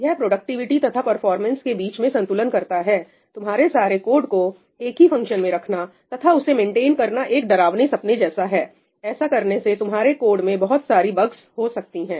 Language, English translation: Hindi, It does a trade of between productivity and performance; putting all your code in one function is going to be a nightmare to maintain, you are going to encounter lots of bugs